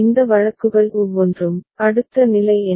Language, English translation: Tamil, Each of these cases, what is the next state